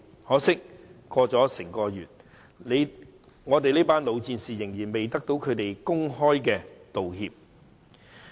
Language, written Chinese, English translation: Cantonese, 可惜，整個月過去了，一群老戰士仍然未得到他們的公開道歉。, Regrettably a whole month has passed but the veterans have yet to receive a public apology from them